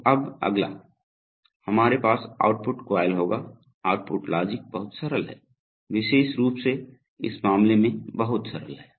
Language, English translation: Hindi, So now next, we will have the output coil, output logic is very simple, very, very simple especially in this case